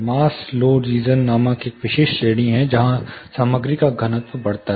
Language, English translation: Hindi, There is a specific range called mass law region, where the density of the material increases